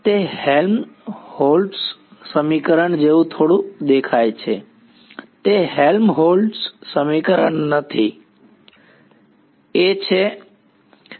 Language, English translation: Gujarati, It looks a little bit like a Helmholtz equation it is not Helmholtz equation why